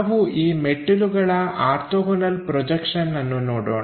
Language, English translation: Kannada, Let us look at orthogonal projections for this staircase